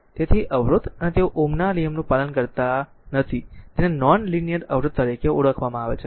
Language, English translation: Gujarati, So, so, resistance they does not obey Ohm’s law is known as non linear resistor